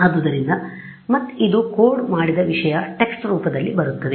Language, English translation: Kannada, So, again this is something that they have coded and output comes in text